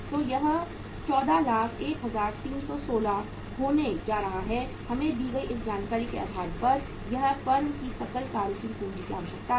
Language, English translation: Hindi, So it is going to be 14,01,316 is going to be the gross working capital requirement of the firm on the basis of this information given to us